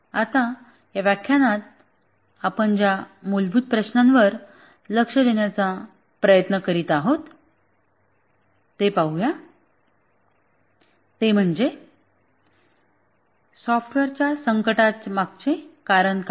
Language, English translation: Marathi, Now let's look at the basic question that we have been trying to address in this lecture is that what is the reason behind software crisis